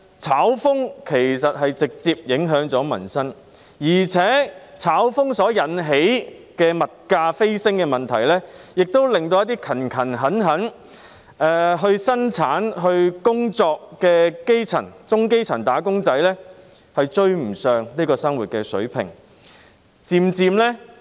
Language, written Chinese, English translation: Cantonese, "炒"風其實直接影響民生，而且"炒"風引起物價飛升的問題，也導致一些勤懇生產和工作的基層和中基層"打工仔"追不上生活水平。, These speculative activities actually have a direct impact on peoples livelihood . Besides speculative activities will push up prices . As a result some hardworking grass - roots workers and lower middle class employees are unable to raise their living standards